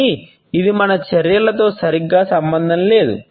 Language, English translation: Telugu, But this is not exactly concerned with our discussions